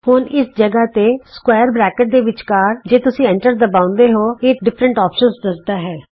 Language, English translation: Punjabi, Now right here between the square brackets, if you press Enter it tells you the different options